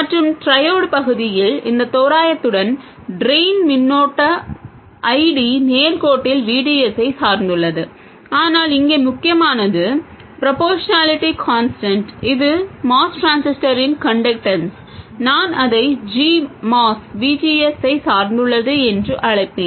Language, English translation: Tamil, And in a resistor this current is linearly dependent on the voltage and in the triad region with this approximation the drain current ID is linearly dependent on VDS but the important thing is the constant of proportionality here which is the conductance of the MOS transistor I will will call it G MOS, is dependent on VGS